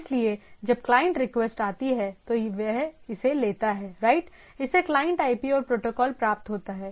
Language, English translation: Hindi, So, when the client’s request comes, it takes it right, it gets the client IP etcetera, and the protocol